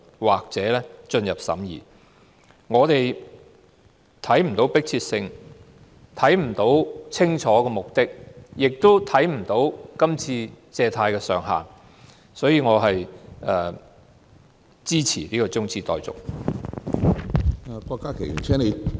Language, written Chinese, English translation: Cantonese, 我們看不到擬議決議案有何迫切性，看不到清晰目的，亦看不到借貸上限，所以我支持這項中止待續議案。, We do not see any urgency in the proposed resolution as well as a clear purpose and the upper limit of borrowings . Therefore I support the adjournment motion